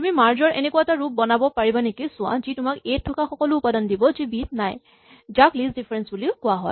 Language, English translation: Assamese, So, see if you can write a version of merge which gives you all the elements in A which are not also in B, also known as list difference